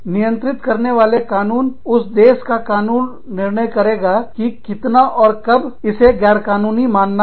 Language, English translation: Hindi, The laws governing, the laws in that country, will determine, how much, and when this is considered, illegal